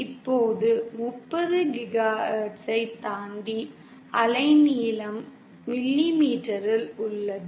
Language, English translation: Tamil, Now beyond 30 GHz, the wavelength is in millimetre